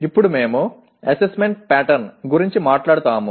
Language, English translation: Telugu, Now we talk about assessment pattern